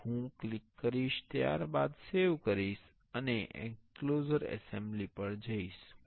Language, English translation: Gujarati, And I will click then save go to the enclosure assembly